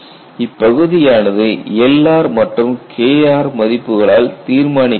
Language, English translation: Tamil, So, that would be determined by your L r and K r values